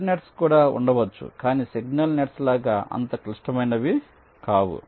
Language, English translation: Telugu, and there can be other nets which are not so critical like the signal nets